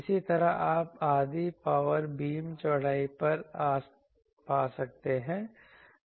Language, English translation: Hindi, Similarly, you can find half power beam width